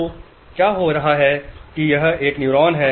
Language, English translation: Hindi, So what is happening is that this is a neuron